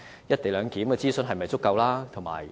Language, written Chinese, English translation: Cantonese, "一地兩檢"的諮詢是否足夠？, Is there sufficient consultation on the co - location arrangement?